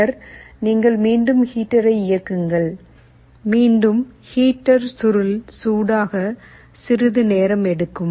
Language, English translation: Tamil, Later, you again turn on the heater, again heater will take some time for the coil to become hot